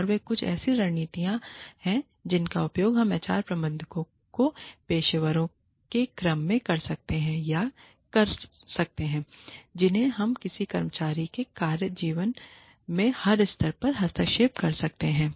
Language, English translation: Hindi, And, these are some of the strategies, that we can use, in order to, or as HR managers and professionals, we can intervene, at every stage, in an employee's work life